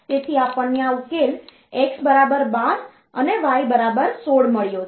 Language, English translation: Gujarati, So, we have got this solution x equal to 12 and y equal to 16